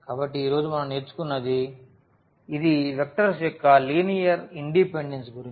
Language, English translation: Telugu, So, what we have learnt today, it is about the linear independence of the vectors